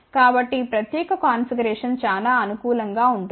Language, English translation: Telugu, So, this particular configuration will be very suitable